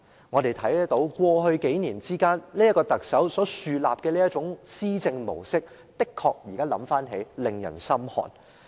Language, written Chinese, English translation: Cantonese, 這位特首在過去數年所豎立的這套施政模式，確實教人心寒。, This administration model established by this Chief Executive over the past few years really sends a chill down our spines